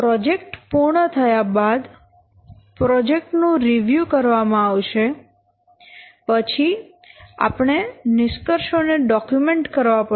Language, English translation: Gujarati, See, after completion of the project we have to review the project, then we have to document the conclusions, etc